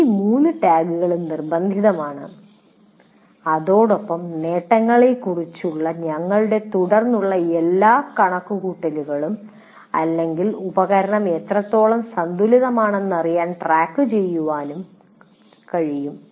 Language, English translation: Malayalam, These three tags are compulsory and with that we can do all our subsequent calculation about attainments or keeping track to see the whether the how well the the instrument is balanced and so on